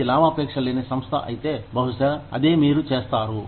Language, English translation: Telugu, If you are a non profit organization, maybe, that is what, you do